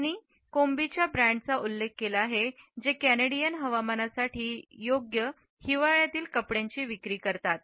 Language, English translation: Marathi, She has referred to the brand of Kombi which sells a warm winter clothing suitable for the Canadian climate